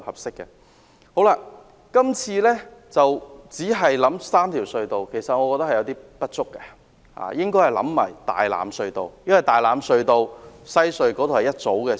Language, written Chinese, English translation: Cantonese, 政府今次只考慮3條隧道，我覺得有些不足，應要考慮大欖隧道，因為大欖隧道與西隧組成一條線。, At present the Government only takes into account three tunnels which I think is inadequate . Consideration should also be given to Tai Lam Tunnel TLT as it forms a single routing with WHC